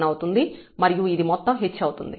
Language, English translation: Telugu, 1 or the whole h here is 0